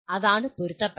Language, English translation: Malayalam, That is what is alignment